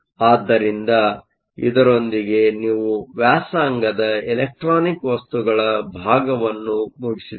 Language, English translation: Kannada, So, with this we are done with the electronic materials part of the course